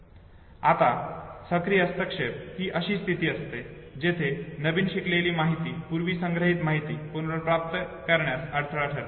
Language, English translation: Marathi, Now proactive interference would be a situation where newly learned information it prevents the retrieval of the previously stored information